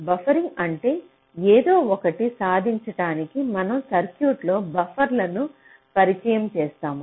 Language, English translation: Telugu, buffering means we introduce buffers in a circuit in order to achieve something, that something